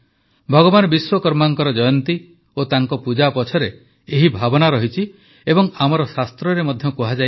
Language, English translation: Odia, This is the very sentiment behind the birth anniversary of Bhagwan Vishwakarma and his worship